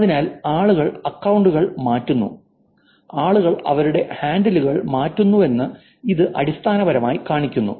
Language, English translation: Malayalam, So this basically shows you that people change accounts, people change their handles